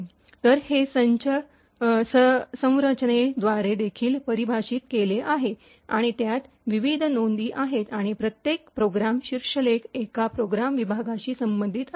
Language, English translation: Marathi, So, it is also defined by a structure and has various entries and each program header is associated with one program segment